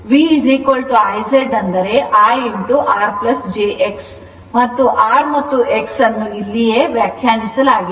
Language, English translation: Kannada, So, X1 minus X2 right and V is equal to I into Z that is I into R plus jX and R and X are defined here right